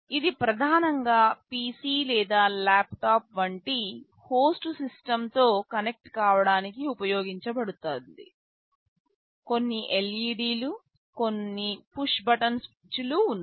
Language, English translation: Telugu, This is primarily used to connect with a host system like a PC or a laptop, there are some LEDs, some push button switches